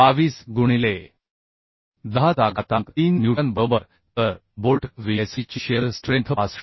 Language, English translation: Marathi, 22 into 10 to the 3 newton right So shear strength of bolt Vsd we can find out that is 65